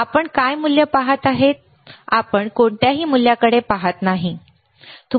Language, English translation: Marathi, Yes, so, what is the value you are looking at, you are not looking at any value, right